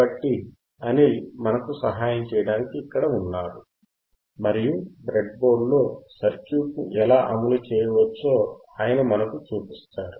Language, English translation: Telugu, So, Anil is here to help us, and he will be he will be showing us how the circuit you can be implemented on the breadboard